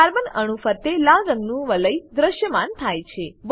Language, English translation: Gujarati, Red colored rings appear around the carbon atoms